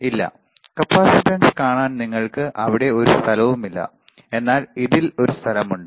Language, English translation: Malayalam, No, there is no place there you can see the capacitance, but in this there is a place